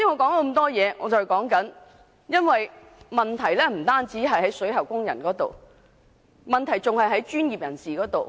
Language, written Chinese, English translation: Cantonese, 事實上，有關問題不單涉及水喉工人，還涉及相關專業人士。, Actually the lead - in - water problem involves not only plumbing workers but also relevant professionals